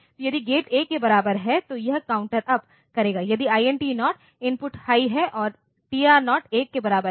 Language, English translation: Hindi, So, if gate equal to 1, it will count up if INT 0 input is high and TR0 is equal to 1